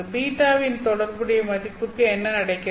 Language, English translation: Tamil, What happens to the corresponding value of beta